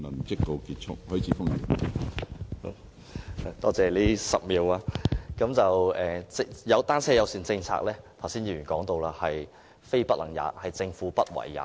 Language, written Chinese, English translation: Cantonese, 剛才有議員說到，單車友善政策是"非不能也"，而是政府"不為也"。, Just now a Member said a bicycle - friendly policy is not a matter of impracticability but a matter of reluctance